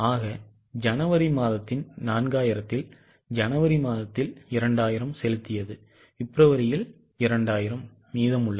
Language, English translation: Tamil, So, out of 4,000 of January, paid 2000 in January, remaining 2000 in February, and so on